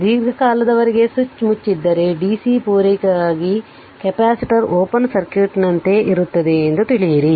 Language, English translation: Kannada, If switch was closed for long time you know that for the DC for the DC supply, the capacitor will be a like an open circuit right